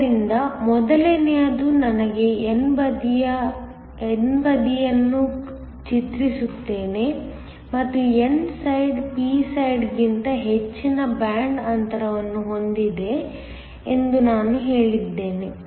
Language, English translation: Kannada, So the first let me draw the n side and I am going to say that the n side has a higher band gap than the p side